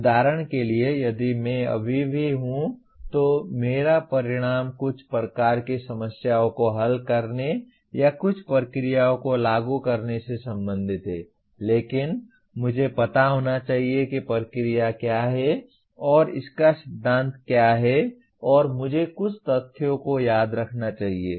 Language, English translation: Hindi, For example if I am still my outcome is related to solving certain type of problems or applying certain procedures but I should know what the procedure is and what the theory of that is and I must remember some facts